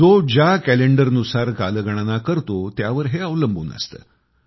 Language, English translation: Marathi, It is also dependant on the fact which calendar you follow